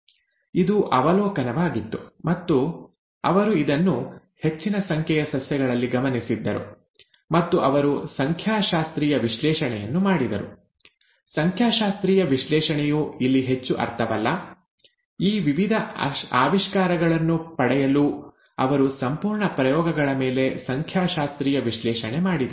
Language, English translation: Kannada, This was the observation, and he had observed this over a large number of plants and he did a statistical analysis to find that, a statistical analysis of course does not mean much here; he did statistical analysis over the entire set of experiments to come up with these various findings